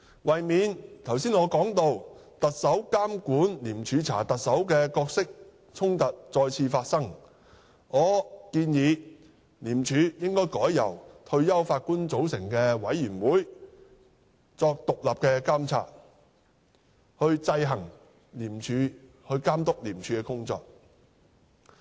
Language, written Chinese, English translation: Cantonese, 為免我剛才提到的"特首監管廉署查特首"的角色衝突再次發生，我建議廉署應改由退休法官組成委員會獨立監察，監督廉署的工作。, To prevent the recurrence of the conflict of roles as seen in the situation of the Chief Executive overseeing ICACs investigation into the Chief Executive that I mentioned earlier I suggest that ICAC should be put under independent monitoring by a committee comprising of retired Judges tasked to monitor the work of ICAC